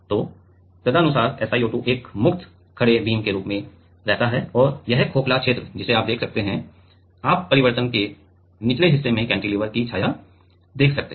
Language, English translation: Hindi, So, accordingly SiO2 remain as a free standing beam and this is the hollow region you can see; you can see the shadow of the cantilever at the bottom part of the change